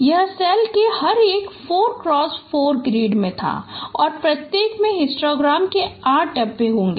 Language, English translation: Hindi, It was each of 4 cross 4 grade of cells and each one will have 8 bins of histogram